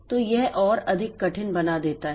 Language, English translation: Hindi, So, that makes it more difficult